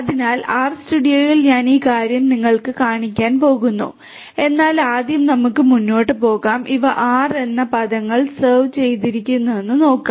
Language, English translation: Malayalam, So, I am going to show you this thing in the R studio, but let us first proceed further and see that what are these reserved the words in R